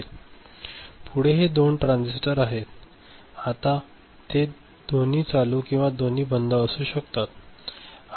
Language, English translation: Marathi, Next is these two transistors, can both of them be ON or both of them be OFF